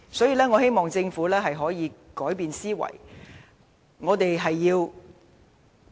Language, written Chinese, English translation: Cantonese, 所以，我希望政府能夠改變思維。, So I hope the Government can change its mindset